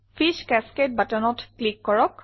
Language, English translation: Assamese, Click the Fish Cascade button